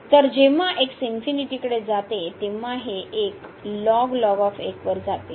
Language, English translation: Marathi, So, when goes to infinity so, this 1 goes to 0